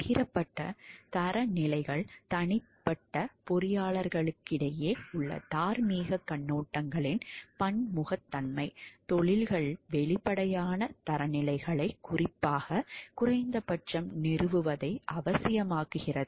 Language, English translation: Tamil, Shared standards; the diversity of moral viewpoints among individual engineers makes it essential that professions establish explicit standards, in particular minimum